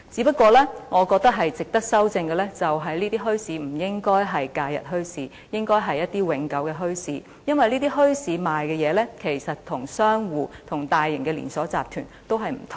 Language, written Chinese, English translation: Cantonese, 不過，我覺得值得修訂的是這些墟市不應該只是假日墟市，而是永久的墟市，因為這些墟市售賣的東西其實跟商戶或大型連鎖集團售賣的不同。, But I think that an amendment is worth making to the effect that these bazaars are set up not only on holidays but should be made permanent because the goods sold at these bazaars are actually different from goods sold in shops or large - scale chain stores